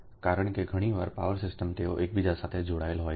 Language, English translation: Gujarati, right, because many power system they are interconnected together